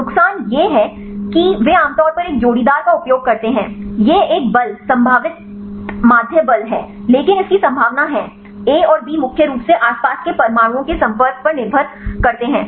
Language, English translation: Hindi, The disadvantages is they use a typically a pairwise one this is mean force, potential mean force, but the probability of the; A and B to be in contact mainly depends upon the surrounding atoms right